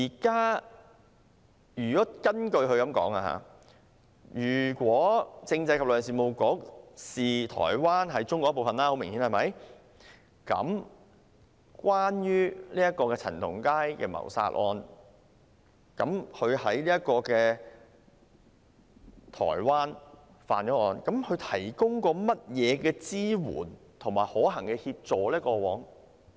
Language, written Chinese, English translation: Cantonese, 根據宗旨所述，當政制及內地事務局很明顯地視台灣為中國一部分時，那麼關於陳同佳在台灣干犯的謀殺案，局方過往曾提供甚麼支援和可行協助呢？, With regard to its aims and the fact that the Constitutional and Mainland Affairs Bureau clearly sees Taiwan as a part of China what has it done to provide support and practical assistance in relation to the murder case committed by CHAN Tong - kai in Taiwan?